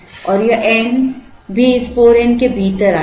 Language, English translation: Hindi, And this n will also come within this 4 n